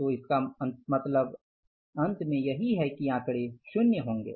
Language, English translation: Hindi, So it means finally these figures will be zero, nothing